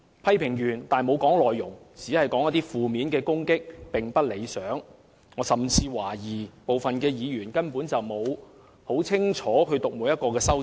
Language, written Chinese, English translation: Cantonese, 空泛的批評和負面的攻擊，並不理想。我甚至懷疑部分議員根本沒有清楚閱讀每一項修正案。, Giving vague criticism and staging negative attack are undesirable just making me doubt if some Members have ever studied all the amendments